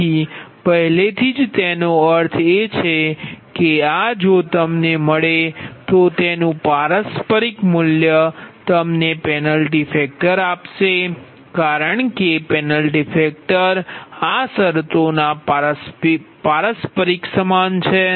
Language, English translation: Gujarati, if you get, then whatever value you will get, its reciprocal will give you the penalty factor, because penalty factor is equal to the reciprocal of this terms, right